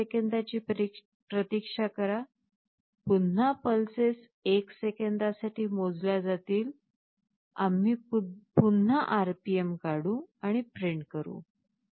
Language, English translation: Marathi, Again wait for 1 second, again the pulses will get counted for 1 seconds, again we calculate RPM and print it